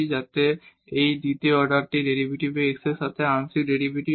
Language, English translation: Bengali, So, these are the first order partial derivatives